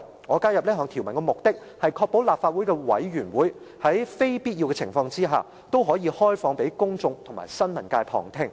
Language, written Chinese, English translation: Cantonese, 我加入這條文的目的，是要確保立法會的委員會如非必要，均應開放給公眾及新聞界旁聽。, The objective of the addition of this rule is to ensure that meetings of committees will be conducted in an open manner and open to observation of the public and the press